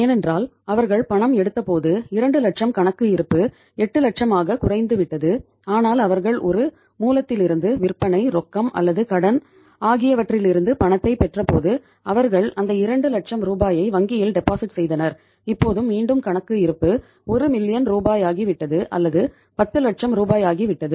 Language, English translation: Tamil, Because when they withdrew 2 lakhs account balance has gone down to 8 lakhs but when they received cash from some source, from sale, cash or credit then they deposited that 2 lakh rupees in the bank and now again the account balance has become 1 million rupees or the 10 lakh rupees